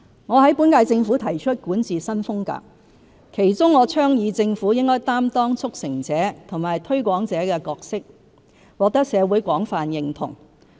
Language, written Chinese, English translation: Cantonese, 我在本屆政府提出管治新風格，其中我倡議政府應擔當"促成者"和"推廣者"的角色，獲得社會廣泛認同。, I have advocated a new style of governance in the current - term Government of which the Government playing the roles of facilitator and promoter has received wide recognition from the community